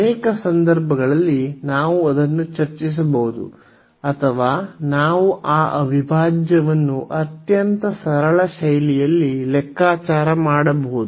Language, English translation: Kannada, So, in many cases we can discuss that or we can compute that integral in a very simple fashion